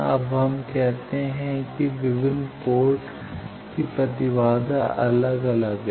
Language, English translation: Hindi, Now, let us say that characteristics impedance of various ports are different